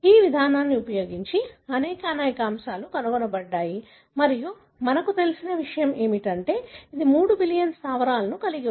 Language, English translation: Telugu, There are many, many aspects that have been discovered using this approach and what we know is that it has got close to 3 billion bases